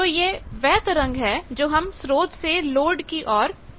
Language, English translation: Hindi, So, this; the wave is sent from the source to the load